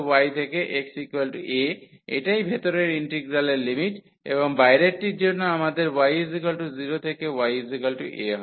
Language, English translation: Bengali, So, x is equal to y to x is equal to a that is the limit of the inner integral and for the outer one we have y is equal to 0 to y is equal to a